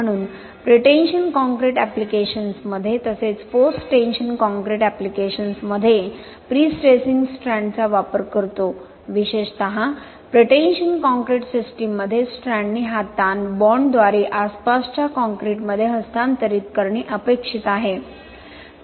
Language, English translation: Marathi, So we use prestressing strands early in pretension concrete applications as well as in post tension concrete applications, especially in pretension concrete system, the strand is expected to transfer this stress by bond to the surrounding concrete